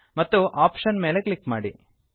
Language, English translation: Kannada, And Click on the option